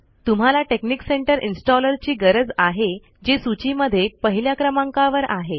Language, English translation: Marathi, You need the texnic center installer which is first on this list